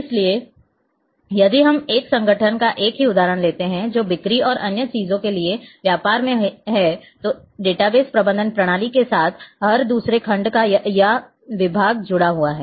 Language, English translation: Hindi, So, if we take the same example of a organization, which is in business for sales and other things then here with the database management system every other section or department is connected